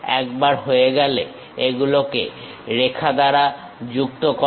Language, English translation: Bengali, Once done, join these by lines